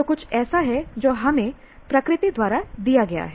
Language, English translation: Hindi, So there is something that is given to us by nature